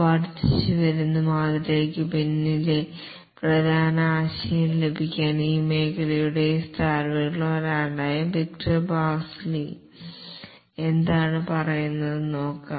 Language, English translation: Malayalam, To get the main idea behind the incremental model, let's see what Victor Basilie, one of the founders of this area has to say